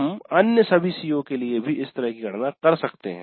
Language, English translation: Hindi, We can do similar computations for all the other COs also